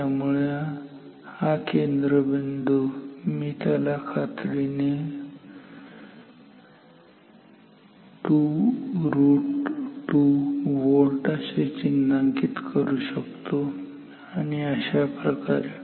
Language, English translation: Marathi, So, this center point I can definitely mark it as at 2 root 2 volt and so on